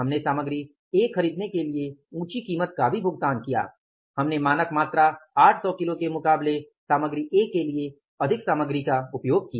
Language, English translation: Hindi, We use the higher quantity of the material A against the standard input of the material A of 800 kgs